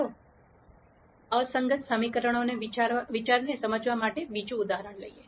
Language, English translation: Gujarati, Let us take another example to explain the idea of inconsistent equations